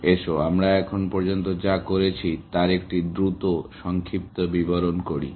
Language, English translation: Bengali, Let us just do a quick recap of what we have done so far